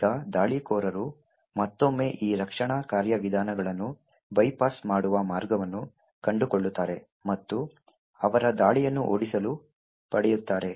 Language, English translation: Kannada, Now the attackers again would find a way to bypass this defense mechanisms and still get their attack to run